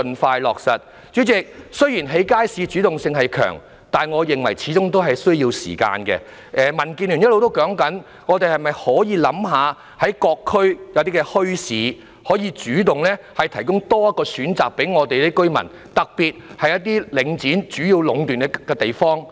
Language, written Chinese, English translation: Cantonese, 代理主席，雖然政府興建街市的主動性強，但我認為這始終需要時間，民主建港協進聯盟一直也建議當局考慮在各區設立墟市，主動向居民提供多一個選擇，特別是在領展壟斷的地方。, Deputy President although the Government by building markets is mounting a powerful offensive I think that ultimately this will take time and the Democratic Alliance for the Betterment and Progress of Hong Kong has all along proposed that the authorities consider setting up bazaars in various districts to provide another choice to residents particularly in areas monopolized by Link REIT